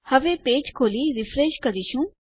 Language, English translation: Gujarati, So, now well open our page up and refresh